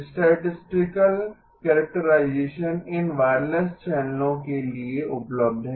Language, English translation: Hindi, Statistical characterization is available of these wireless channels okay